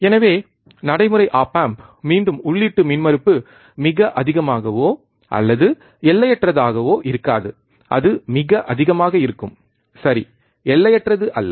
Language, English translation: Tamil, So, practical op amp again input impedance would be not extremely high or not in finite, it would be extremely high, right not infinite